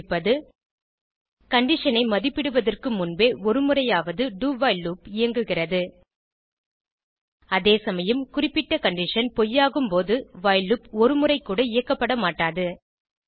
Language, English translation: Tamil, This implies that, do while loop executes at least once before evaluating the condition whereas while loop does not get executed even once when the condition specified is false